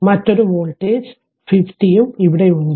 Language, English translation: Malayalam, Another one voltage V is here also and this 50